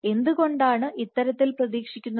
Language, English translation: Malayalam, So, why is this expected